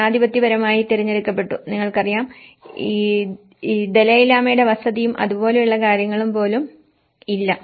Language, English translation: Malayalam, democratically elected, you know so there is no, at least in Dalai Lama there is no residence of this Dalai Lama and things like that